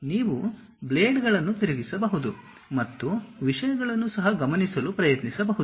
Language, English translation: Kannada, In fact, you can rotate the blades and try to observe the things also